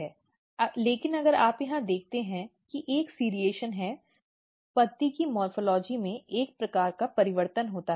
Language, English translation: Hindi, But if you look here there is a serration there is a kind of change in the morphology of the leaf